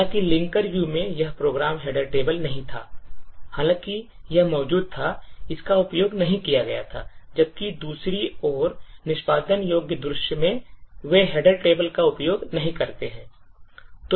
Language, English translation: Hindi, While in the linker view this program header table was not, although it was present, it was not used, while in the executable view on the other hand, they section header table is not used